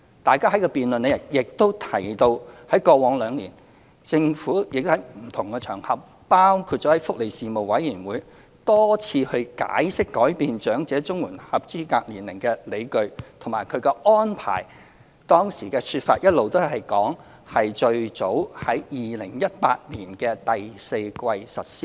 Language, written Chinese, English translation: Cantonese, 大家在辯論中亦提到，政府在過往兩年曾在不同場合，多次解釋改變長者綜援合資格年齡的理據及安排，當時的說法一直是最早在2018年第四季實施。, As Members have also mentioned in the debate in the past two years the Government has on various occasions including the meetings of the Panel on Welfare Services repeatedly explained the justifications and arrangement for changing the eligibility age for elderly CSSA and the account given at the time stated that the change would be implemented in the fourth quarter of 2018 the earliest